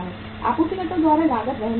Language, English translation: Hindi, Cost is being borne by the supplier